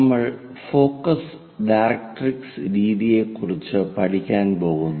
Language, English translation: Malayalam, And we are going to learn about focus directrix method